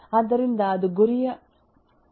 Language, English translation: Kannada, So that is the question of target medium